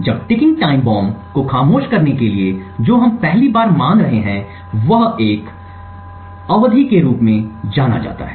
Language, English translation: Hindi, Now in order to silence ticking time bomb what we first assume is something known as an epoch duration